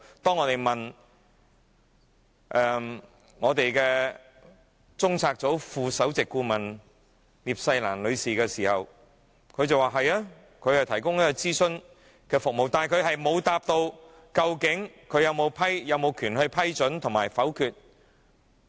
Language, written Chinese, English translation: Cantonese, 當我們就此詢問中策組副首席顧問聶世蘭女士時，聶世蘭女士表示，對的，高靜芝是提供諮詢服務，但聶世蘭女士沒有回答，高靜芝究竟有否權力批准和否決任命。, In reply to our enquiry on this Ms Olivia NIP Deputy Head of CPU admitted that Sophia KAO was responsible for providing advice in this regard . However Ms Olivia NIP did not say whether Sophia KAO had the power to approve and disapprove appointments